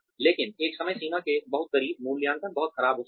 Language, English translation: Hindi, But, very close to a deadline, appraisals may be very bad